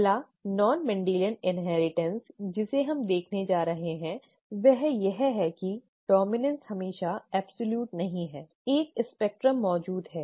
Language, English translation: Hindi, The first non Mendelian principle that we are going to look at is that dominance is not always, excuse me, absolute, a spectrum exists